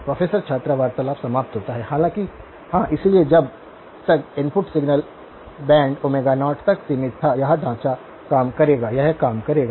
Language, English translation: Hindi, “Professor – student conversation ends” though yeah, so as long as the input signal was band limited to Omega naught, this framework would work; this would work